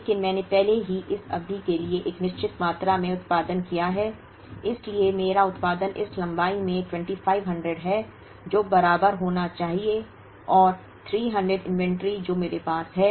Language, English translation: Hindi, But, I have already produced a certain quantity for this period, so my production is 2500 into this length that should be equal and 300 inventory that I have